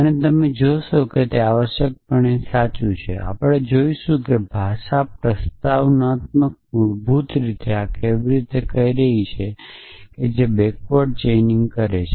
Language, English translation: Gujarati, And you will find that it true essentially will in the movement we will look at how the language prolog is basically doing this which is it is doing backward chaining